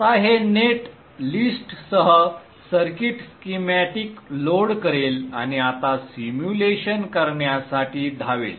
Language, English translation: Marathi, Now this will load the circuit schematic with the net list and now run to perform the simulation